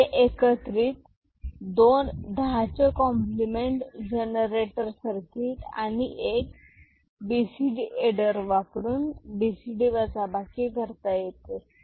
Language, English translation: Marathi, So, together two 10’s complement generator circuit and 1 BCD adder you can do BCD subtraction ok